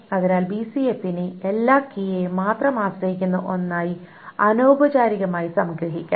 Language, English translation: Malayalam, And informally, BCNF is can be summarized as everything depends on only the key